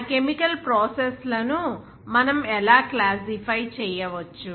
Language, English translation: Telugu, How can we classify those chemical processes